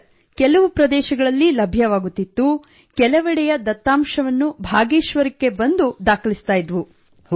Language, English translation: Kannada, Sir, at places it was available…at times we would do it after coming to Bageshwar